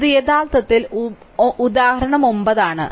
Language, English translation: Malayalam, So, this is actually example nine this is your example 9 right